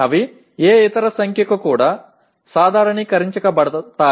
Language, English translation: Telugu, They can also be normalized to any other number